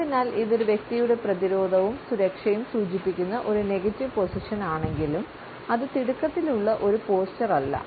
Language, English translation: Malayalam, So, though this is a negative position indicating a defensive and in security of a person; it is not necessarily a hurried posture